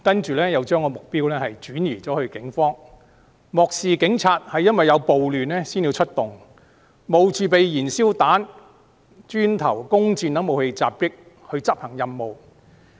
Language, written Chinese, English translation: Cantonese, 然後，他們將目標轉移至警方，漠視警察是由於有暴亂才出動，要冒着被燃燒彈、磚頭、弓箭等武器襲擊來執行任務。, After that they shifted the target to the Police disregarding the fact that the Police are merely responding to the riots and that they are risking attacks by petrol bombs bricks and arrows in performing their duties